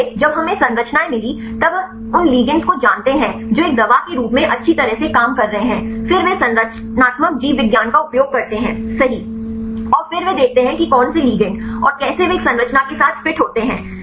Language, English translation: Hindi, So, when we got the structures then we know the ligands which are working well as a drugs, then they use the structural biology right and then they see which ligands and how they fit with a structures